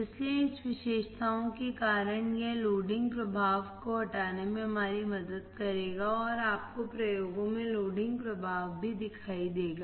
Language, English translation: Hindi, So, because of this characteristics, it will help us to remove the loading effect and you will see loading effect in the experiments as well